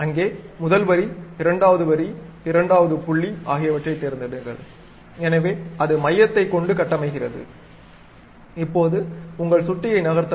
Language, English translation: Tamil, So, pick first line, second line, second point, so it construct on the center, now move your mouse